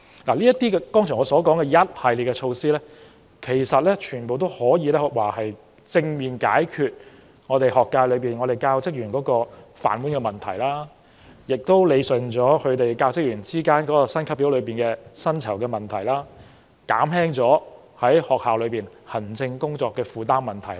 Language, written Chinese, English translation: Cantonese, 我剛才提到的一系列措施，全都旨在正面解決教育界內教職員的"飯碗"問題、理順教職員的薪級表、薪酬等問題，以及減輕學校校長和教師的行政工作負擔。, The series of measures I just mentioned all seek to positively address the livelihood of the teaching staff in the education sector rationalize their pay scale and salaries as well as alleviate the administrative workload of school principals and teachers